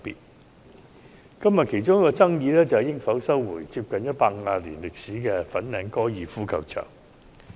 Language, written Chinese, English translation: Cantonese, 今天辯論的其中一個焦點，是應否收回有近150年歷史的粉嶺高爾夫球場用地。, One focus of todays debate is whether the site of the Fanling Golf Course FGC which bears a history of nearly 150 years should be resumed